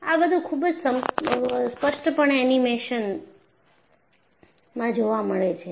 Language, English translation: Gujarati, And, that is very clearly seen in the animation